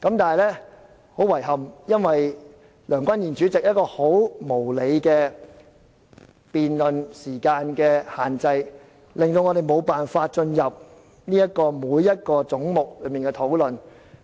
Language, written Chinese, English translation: Cantonese, 但很遺憾，基於梁君彥主席就辯論設立的無理時限，我們無法就各個總目逐一討論。, Regrettably due to the unreasonable time limit set on the debate by President Andrew LEUNG we cannot discuss the Budget head by head